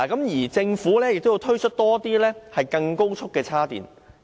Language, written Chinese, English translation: Cantonese, 而且，政府更需要推出更多高速充電位。, Besides the Government even needs to set up more fast charging stations